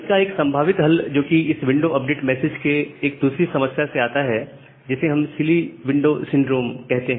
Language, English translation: Hindi, So, one possible solution comes from, another problem in this window update message, which we will call as the silly window syndrome